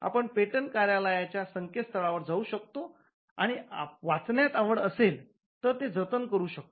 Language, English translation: Marathi, So, you can go to the patent office website and you could download it if you are interested in reading it